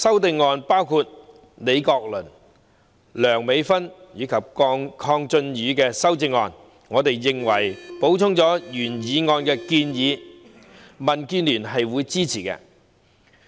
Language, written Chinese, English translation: Cantonese, 對於李國麟議員、梁美芬議員及鄺俊宇議員的修正案，我們認為3項修正案補充了原議案的建議，民建聯會支持。, As regards the amendments by Prof Joseph LEE Dr Priscilla LEUNG and Mr KWONG Chun - yu we consider that these three amendments supplement the suggestions made in the original motion and DAB will support them